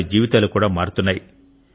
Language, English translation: Telugu, He is changing their lives too